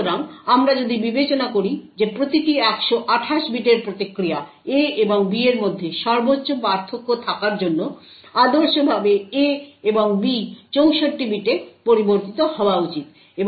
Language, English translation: Bengali, So if we are considering that each response of 128 bits in order to have maximum difference between A and B, ideally A and B should vary in 64 bits